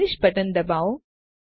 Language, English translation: Gujarati, Hit the Finish button